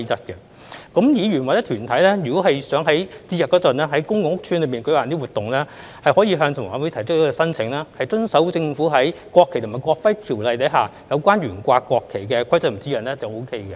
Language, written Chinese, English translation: Cantonese, 議員或團體如果想於節日內在公共屋邨舉辦一些活動，可以向房委會提出申請，遵守政府在《國旗及國徽條例》下有關懸掛國旗的規則和指引便可以。, Councillors or organizations wishing to organize activities in public housing estates during festive days can apply to HKHA and follow the Governments rules and guidelines on the flying of the national flag under the Ordinance